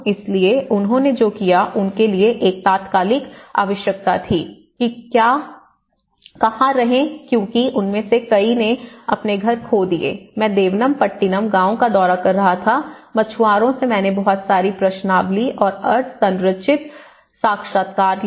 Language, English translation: Hindi, So what they did was an immediate requirement for them as where to live, many of them lost their houses, so many I was visiting Devanampattinam village, the longest fisherman village and you can see that I have taken lot of questionnaires and a lot of semi structured interviews